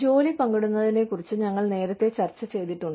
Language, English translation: Malayalam, We have discussed, job sharing, earlier